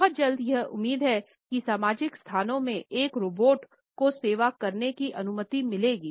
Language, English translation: Hindi, And very soon it is hoped that it would allow a robots to serve in social spaces